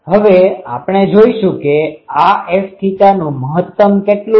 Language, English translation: Gujarati, Now, we will see that what is the maximum of this F theta